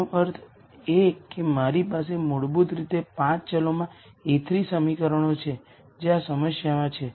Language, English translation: Gujarati, That means I basically have a 3 equations in the 5 variables that are there in this problem